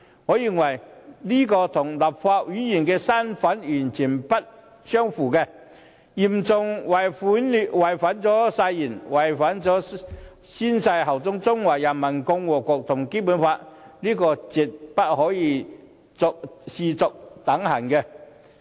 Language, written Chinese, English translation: Cantonese, 我認為這與立法會議員的身份完全不相符，嚴重違反了他們宣誓效忠中華人民共和國和《基本法》的誓言，絕對不可視作等閒。, In my opinion those actions were totally inconsistent with their status as Legislative Council Members . In so doing they breached their oath of bearing allegiance to the Peoples Republic of China and the Basic Law . That cannot be taken lightly whatsoever